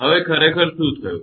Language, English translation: Gujarati, Now what happened actually